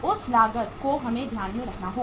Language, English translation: Hindi, That cost we have to take into account